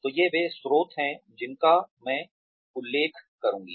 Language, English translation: Hindi, So these are the sources that, I will be referring to